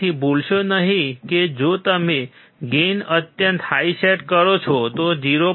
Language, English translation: Gujarati, So, do not forget, if you set a gain extremely high, then even 0